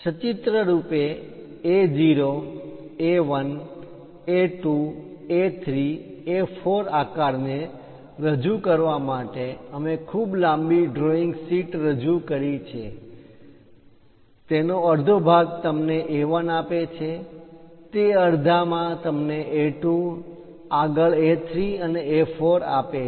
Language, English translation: Gujarati, To represent pictorially the A0 size A1, A2, A3, A4, we have represented a very long drawing sheet; half of that gives you A1, in that half gives you A2, further A3, and A4